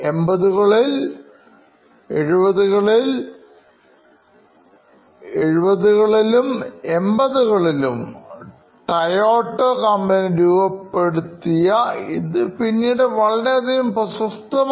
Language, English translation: Malayalam, This was coined by Toyota in the 70s and became very popular in the shop floor